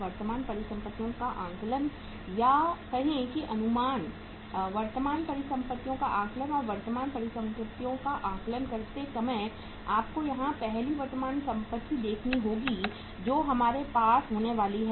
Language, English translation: Hindi, Assessment of or the say estimation of current assets, estimation of current assets and while estimating the current assets you will have to see here first current assets we are going to have is the raw material